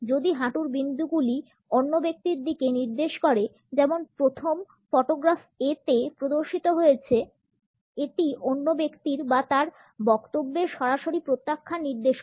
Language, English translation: Bengali, If the knee points in the direction of the other person, as it has been displayed in the first photograph A, it is a direct rejection of the other person or his statement